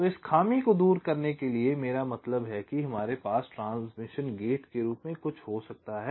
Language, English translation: Hindi, so to remove this drawback, i mean we can have something called as transmission gate